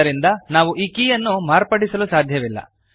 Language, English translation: Kannada, Hence, we cannot modify this key